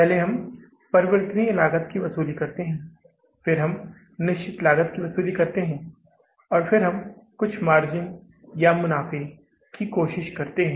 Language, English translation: Hindi, First we recover the variable cost, then we tend to recover the fixed cost and then we try to have some margins of the profits, right